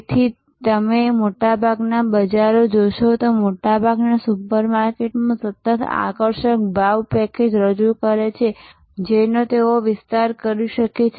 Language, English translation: Gujarati, So, that is why you will see the most of the bazaars, most of the super markets they continuously harp on the attractive pricing package offers which they are able to extend